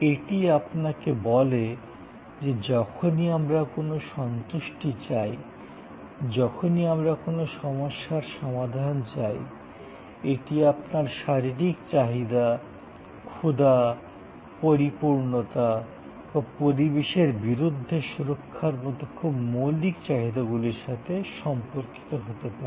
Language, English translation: Bengali, And it will tell you how, whenever we are seeking any satisfaction, whenever we are seeking solution to any problem, it can be related to very basic needs like your physiological needs, hunger, fulfillment or the protection against the environment too cold, too hot